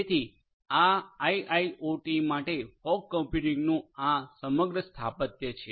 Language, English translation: Gujarati, So, this is this overall architecture of fog computing for IIoT